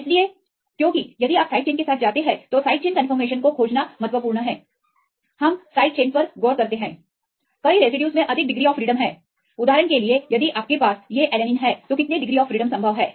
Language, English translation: Hindi, So, because if you go with the side chains, it is important to search the side chain conformation, we look into the side chains many residues have more degrees of freedom right for example, if you have these alanine how many rotations are possible